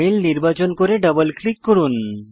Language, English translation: Bengali, Select the mail and double click